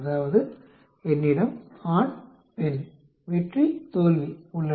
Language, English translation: Tamil, That means I have male, female, success, failure